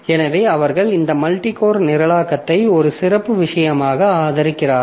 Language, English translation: Tamil, So, they are supporting this multi core programming as a special thing